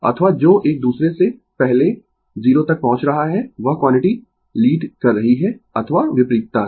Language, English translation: Hindi, Or which one is reaching to 0 before the other one that quality leading or vice versa, right